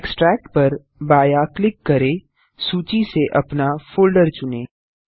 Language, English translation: Hindi, Left click on EXTRACT Choose your destination folder from the list